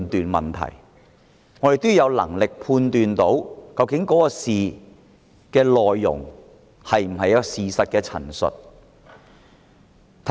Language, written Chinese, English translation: Cantonese, 我們要有能力判斷議案的內容是否事實的陳述。, We should be capable of passing judgment on whether a motion states the facts